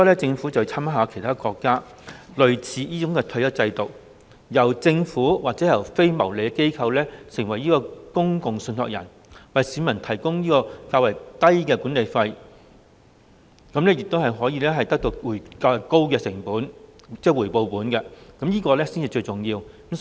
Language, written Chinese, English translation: Cantonese, 政府應該參考其他國家類似的退休金制度，由政府或非牟利機構擔任公共信託人，為市民提供較低廉的管理費，讓他們因而能獲得到較高的回報，這才是最重要的。, The Government should draw reference from similar retirement fund schemes of other countries in which the Government or a non - profit - making organization assumes the role as a public trustee pitching the management fee at a lower level so as to provide a higher return to members of the public . This is of paramount importance